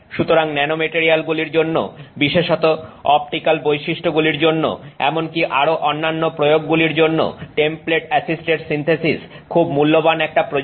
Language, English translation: Bengali, So, template assisted synthesis is a very valuable technique to have for nanomaterials for particularly for optical properties even for many other applications